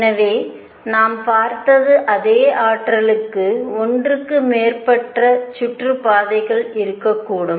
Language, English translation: Tamil, So, what we saw was there could be more than one orbit for the same energy